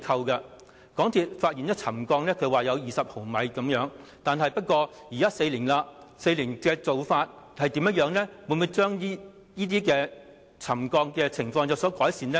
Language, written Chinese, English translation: Cantonese, 港鐵公司發現沉降了20毫米，現在相隔了4年才進行加固工作，沉降的情況是否有改善呢？, Yet despite the recovery of the 20 mm subsidence it was not until four years later that MTRCL commenced the underpinning works